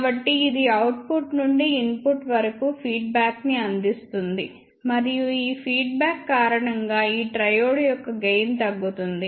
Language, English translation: Telugu, So, this will provide feedback from output to input; and because of this feedback the gain of this triode decreases